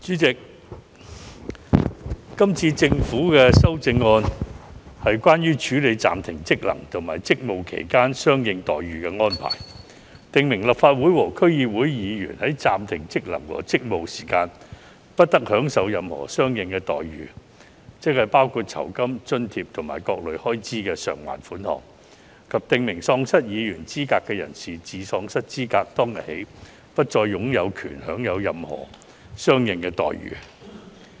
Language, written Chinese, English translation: Cantonese, 主席，今次政府的修正案，是關於處理暫停職能和職務期間相應待遇的安排，訂明立法會和區議會議員在暫停職能和職務期間，不得享受任何相應待遇，即包括酬金、津貼及各類開支償還款額，以及訂明喪失議員資格的人士，自喪失資格當天起不再有權享有任何相應待遇。, Chairman the present Committee stage amendments CSAs of the Government is related to the handling of the corresponding entitlements during suspension of functions and duties . It provides that during the suspension of functions and duties of a Legislative Council Member or District Council DC member the member concerned shall not enjoy corresponding entitlements which will include remuneration allowances and various kinds of reimbursement for expenses; and that if a person is disqualified from acting as a member the person shall cease to be entitled to any corresponding entitlement beginning on the date of disqualification